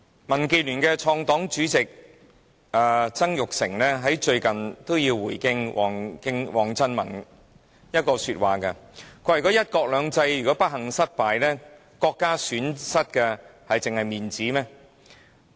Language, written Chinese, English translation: Cantonese, 民建聯的創黨主席曾鈺成，最近也回應王振民一句說話，他說"一國兩制"如果不幸失敗，國家損失真的只是面子嗎？, Mr Jasper TSANG the founding chairman of DAB has recently responded to the remarks made by Prof WANG Zhenmin . He said that if one country two systems failed unfortunately would the state merely lose its face alone?